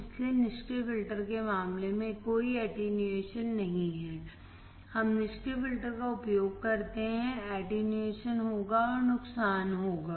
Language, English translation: Hindi, Hence, no attenuation as in case of passive filters; we use passive filters, there will be attenuation and there will be loss